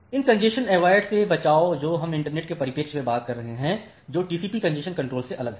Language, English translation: Hindi, So, these congestion avoidance that we are talking in the perspective of internet that is different from TCP congestion control